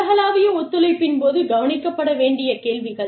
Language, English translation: Tamil, Questions to be addressed, during global collaborations